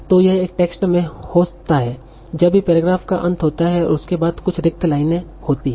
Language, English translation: Hindi, So this would happen in a text whenever this is the end of the paragraph and there are some blank lines